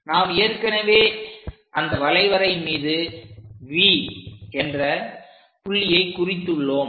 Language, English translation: Tamil, So, we have already located point V on that curve